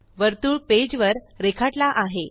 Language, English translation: Marathi, A circle is drawn on the page